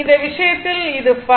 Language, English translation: Tamil, So, in this case it is also phi